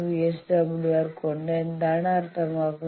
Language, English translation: Malayalam, 5 VSWR means what